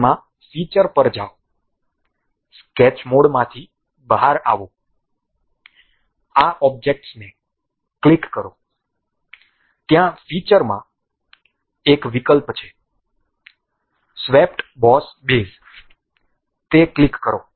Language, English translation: Gujarati, Now, in that go to features, come out of sketch mode, click this object; there is an option in the features swept boss base, click that